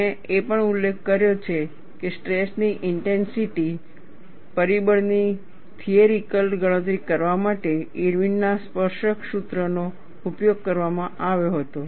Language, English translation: Gujarati, I also mentioned, that Irwin's tangent formula was used, to theoretically calculate the stress intensity factor